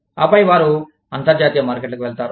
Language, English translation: Telugu, And then, they move on to, international markets